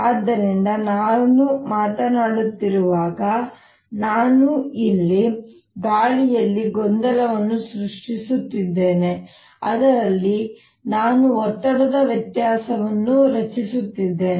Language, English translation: Kannada, when i am speaking, i am creating a disturbance in the air out here, in that i am creating a pressure difference